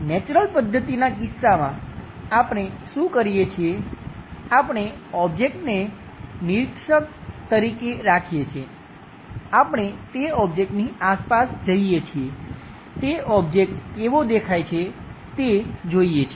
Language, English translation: Gujarati, In case of Natural method, what we do is we keep the object as an observer, we walk around that object, by looking at that object how it really looks like